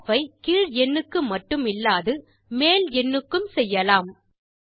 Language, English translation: Tamil, Rounding off, can also be done to either the lower whole number or the higher number